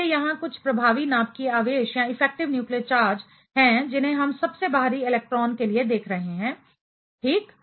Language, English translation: Hindi, So, here is some effective nuclear charge that we are looking at for the outermost electron ok